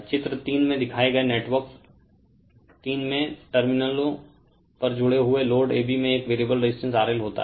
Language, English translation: Hindi, In the network shown in figure 3 the load connected across terminals AB consists of a variable resistance R L right